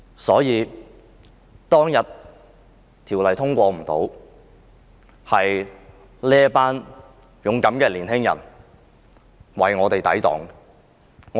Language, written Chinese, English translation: Cantonese, 修例當天無法通過，就是由於這群勇敢的青年人為我們抵擋。, The legislative amendments failed to be passed that day because of the defiance of these young people on our behalf